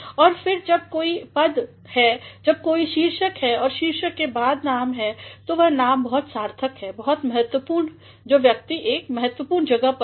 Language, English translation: Hindi, And, then whenever there is a designation, whenever there is a title and the title is followed by the name so, and the name is very significant, very important the person holds an important place